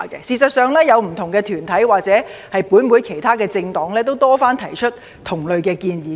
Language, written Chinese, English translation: Cantonese, 事實上，不同團體或本會其他政黨也曾多次提出同類建議。, As a matter of fact various groups or other political parties in this Council have put forward similar suggestions many times